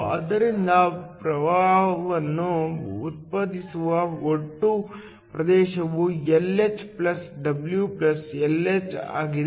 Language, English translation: Kannada, So, The total region from which current is generated is Lh + W + Lh